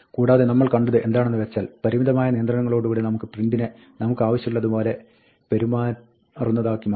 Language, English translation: Malayalam, And what we saw is that, with the limited amount of control, we can make print behave as we want